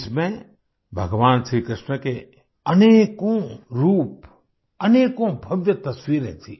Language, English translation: Hindi, In this there were many forms and many magnificent pictures of Bhagwan Shri Krishna